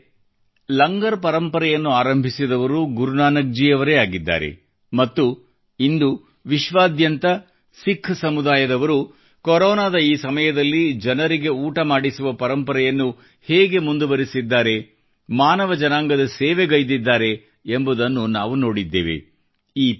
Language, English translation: Kannada, it was Guru Nanak Dev ji who started the tradition of Langar and we saw how the Sikh community all over the world continued the tradition of feeding people during this period of Corona , served humanity this tradition always keeps inspiring us